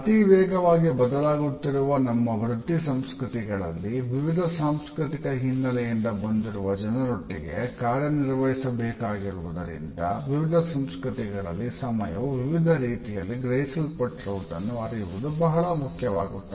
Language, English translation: Kannada, In the fast changing pace of our work cultures where we may have to work with people from different cultural background, our awareness of how time is perceived differently in different cultures has become almost a must